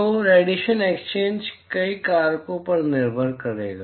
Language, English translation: Hindi, So, the radiation exchange would depend on several factors